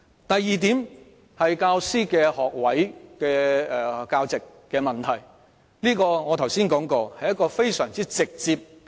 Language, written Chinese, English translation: Cantonese, 第二點是教師學位教席的問題，我剛才已指出這是非常簡單直接的事。, The second point concerns the graduate posts of teachers . I already said earlier that this should be a most simple straightforward issue